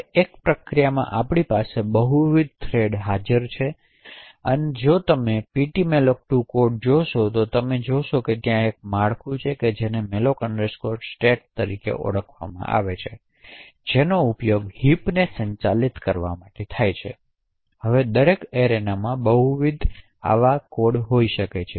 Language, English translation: Gujarati, Now therefore in one process we could have multiple arena that are present, now if you look at the ptmalloc2 code you would see that there is a structure known as malloc state which is used to manage the arenas, now each arena can have multiple heaps